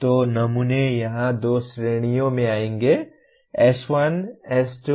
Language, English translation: Hindi, So the samples will come under two categories here; S1, S2, S3